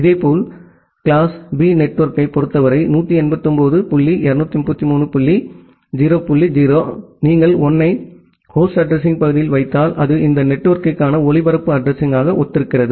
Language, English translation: Tamil, Similarly, for the class B network, 189 dot 233 dot 0 dot 0 if you put all 1’s at the host address part that means, it corresponds to the broadcast address for this network